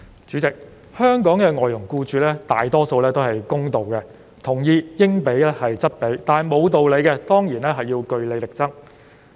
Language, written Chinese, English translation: Cantonese, 主席，香港外傭僱主大多數是公道的，他們同意應付則付，但對於不合理的費用，當然要據理力爭。, President most Hong Kong employers of FDHs are fair . They agree to pay what they should but regarding unreasonable charges of course they will argue against them with justifications